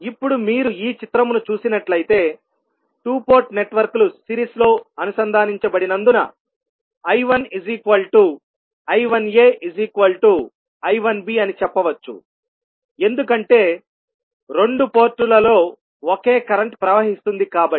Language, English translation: Telugu, Now, if you see this figure, we can simply say that since the two port networks are connected in series that means I 1 is nothing but equals to I 1a and also equal to I 1b because the same current will flow in both of the ports